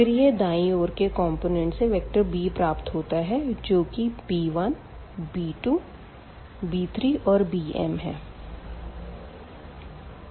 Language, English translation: Hindi, And we have the right hand side vector b which whose components are b 1 b 2 b 3 and b m